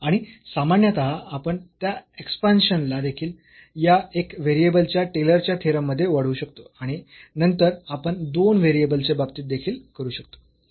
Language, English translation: Marathi, And in general also we can extend that expansion in this Taylor’s theorem of one variable and then we can have for the two variables as well